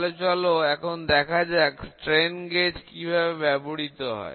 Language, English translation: Bengali, We will see what is strain gauge